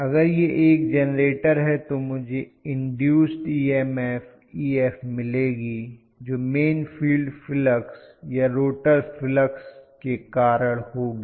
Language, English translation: Hindi, So, if it is a generator I am going to have the induced EMF Ef which is due to the main field flux or the rotor flux that is essentially Ef